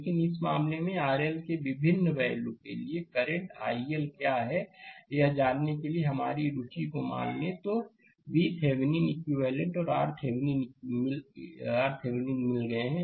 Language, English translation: Hindi, But in this case, suppose our interest to find out what is current i L for different values of R L, then equivalent V Thevenin and R Thevenin we have got